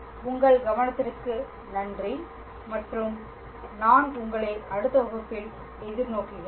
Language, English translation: Tamil, And I thank you for your attention and I look forward to you in your next class